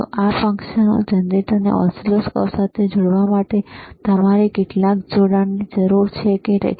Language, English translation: Gujarati, So, for connecting this function generator to oscilloscope, you need some connectors is n't iit not